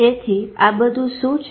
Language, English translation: Gujarati, So what is all this is about